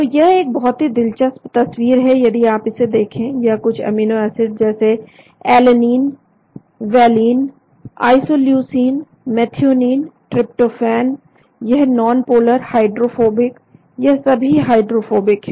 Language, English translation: Hindi, So it is a very interesting picture if you look at this some of these amino acids like alanine, valine, leucine, isoleucine methionine, tryptophan, they are nonpolar hydrophobic , they are all hydrophobic